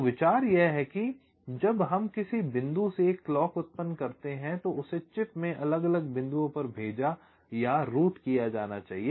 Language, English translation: Hindi, so the idea is that when we generate a clock from some point, it has to be sent or routed to the different points in a chip